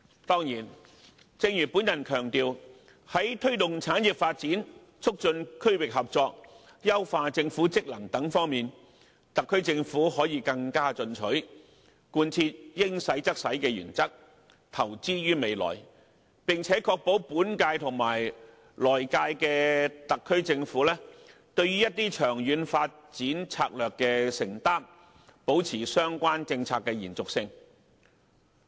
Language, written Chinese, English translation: Cantonese, 當然，正如我強調，在推動產業發展、促進區域合作、優化政府職能等方面，特區政府可以更進取，貫徹"應使用則使用"的原則，投資於未來，並且確保本屆及來屆的特區政府，對於一些長遠發展策略的承擔，保持相關政策的延續性。, Of course as I have said earlier the Government can be more aggressive in promoting industrial development and regional cooperation and streamlining government functions by adhering to the principle of spending when necessary . It should also invest in the future and ensure that the current - term Government and the next - term Government will make commitments in longer - term strategies in order to ensure the continuity of the relevant policies